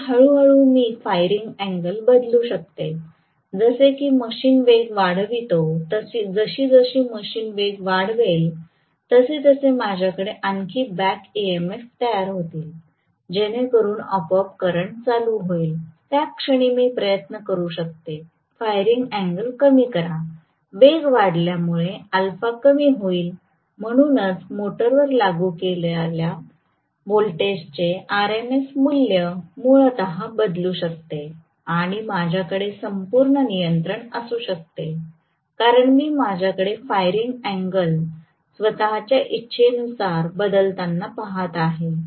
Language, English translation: Marathi, And slowly I can vary the firing angle such that it decreases as the machine picks up speed, as the machine picks up speed, I will have more back EMF generated, so that will automatically bring down the current, at that point I can try to reduce the firing angle, so alpha is decreased as speed picks up right, so this will essentially vary the RMS value of voltage that is being applied to the motor and I can have a complete control because I am looking at the firing angle being changed at my own will, so I should be able to definitely adjust the amount of voltage that is being applied as per the requirement of the motor and the load system right